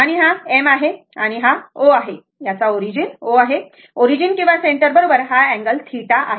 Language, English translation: Marathi, And this is your M and this is your O, the origin this is your O, the origin or center right and the this angle is theta, that is this angle is theta